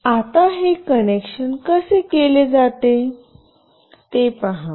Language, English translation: Marathi, Now, see how this connection goes